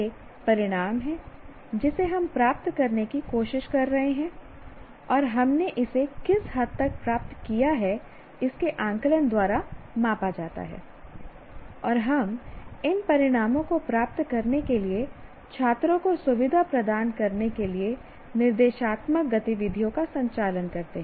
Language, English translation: Hindi, And what extent we attained is measured by the is measured by the assessment and we conduct instructional activities to facilitate students to attain these outcomes